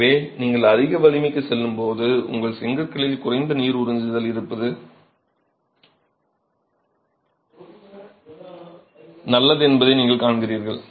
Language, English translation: Tamil, So, you see that as you go to higher strength, it's better to have lesser water absorption in your bricks